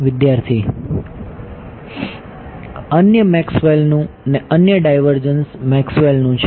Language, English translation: Gujarati, the other Maxwell’s the other divergence Maxwell’s